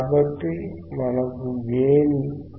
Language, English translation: Telugu, So, then we have 1